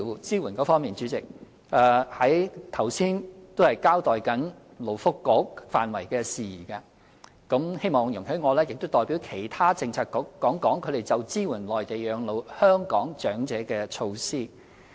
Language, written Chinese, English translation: Cantonese, 主席，在交代勞工及福利局範疇的事宜後，希望你容許我代表其他政策局，談談他們就支援在內地養老的香港長者的措施。, President earlier I was explaining matters within the purview of the Labour and Welfare Bureau so I hope you would allow me to speak on behalf of other bureaux about the measures they introduced to support the Hong Kong elderly living their twilight years in the Mainland